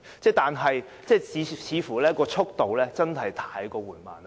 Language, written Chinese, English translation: Cantonese, 所以，改建暖水池的速度真是太過緩慢。, So I would say that conversion works are way too slow in speed